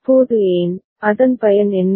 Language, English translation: Tamil, Now why, what is the usefulness of it